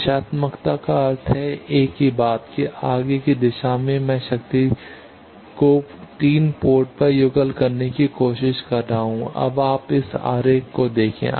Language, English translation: Hindi, Directivity means that same thing that in forward direction I am trying to couple power to port 3 you see this diagram